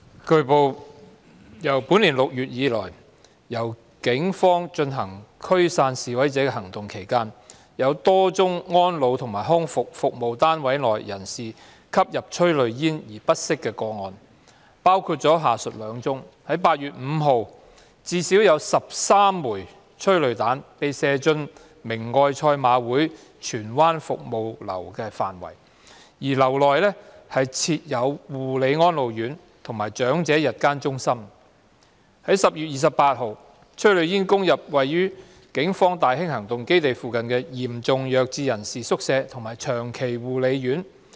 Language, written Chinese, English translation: Cantonese, 據報，自本年6月以來，在警方進行驅散示威者行動期間，有多宗安老及康復服務單位內人士因吸入催淚煙而不適的個案，包括下述兩宗 ：8 月5日，至少有13枚催淚彈被射進明愛賽馬會荃灣服務樓的範圍，而樓內設有護理安老院和長者日間護理中心； 10月28日，催淚煙攻入位於警方大興行動基地附近的嚴重弱智人士宿舍及長期護理院。, It has been reported that during the Polices operations to disperse demonstrators since June this year there have been a number of cases in which persons in elderly and rehabilitation service units felt unwell due to inhalation of tear gas including the following two cases on 5 August at least 13 rounds of tear gas were fired into the precincts of Caritas Jockey Club Tsuen Wan Social Service Building which housed a care and attention home for the elderly and a day care centre for the elderly; and on 28 October tear gas billowed into a hostel for severely mentally handicapped persons and a long stay care home located in the vicinity of the Polices Tai Hing Operational Base